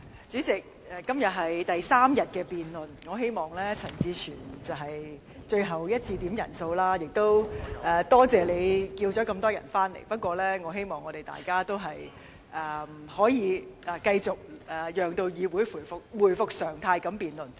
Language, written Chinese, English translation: Cantonese, 主席，今天是第三天舉行議案辯論，我希望這是陳志全議員最後一次要求點算法定人數，也多謝他傳召這麼多議員回來，不過我希望大家能夠讓議會回復常態地辯論。, President now that the motion debate has entered the third day and though I thank Mr CHAN Chi - chuen for summoning so many Members back I wish this is the last quorum call made by him . I hope Members can allow the Council to resume debate normally